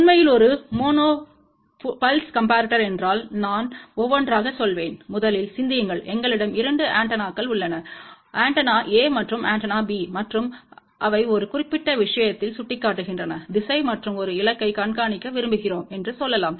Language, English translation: Tamil, What is really a mono pulse comparator I will go through that one by one, think about first we have 2 antennas; antenna A and antenna B and they are pointing in one particular direction, and let us say we want to track a target